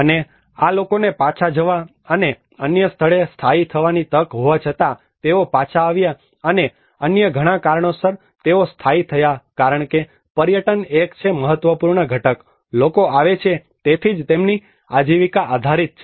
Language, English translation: Gujarati, And despite of these people given an opportunity to go back and settled somewhere else, they came back and they settled because of various other reasons because tourism is one of the important component, people come so that is where their livelihood is based on